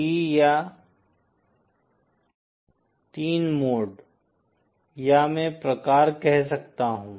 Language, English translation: Hindi, T or Three modes, types I can say